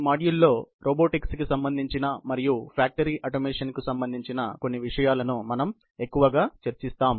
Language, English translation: Telugu, We will be mostly, dealing in this module with issues, related to robotics and some issues related with factory automation